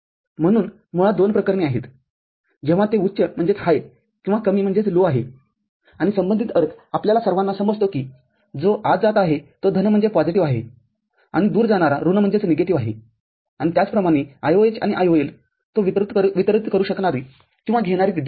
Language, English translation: Marathi, So, basically the two cases when it is high or low and the corresponding meaning we all understand that it is going into is positive and going away is negative and similarly the IOH and IOL the amount of current it can deliver or it can sink